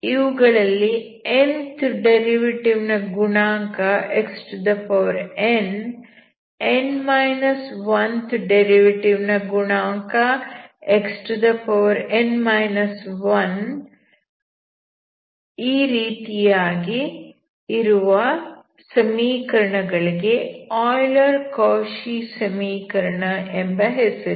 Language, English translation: Kannada, nth derivative is having xn coefficient, th derivative will have xn−1, like that if you have then the equation is called Euler’s Cauchy equation, we know how to solve it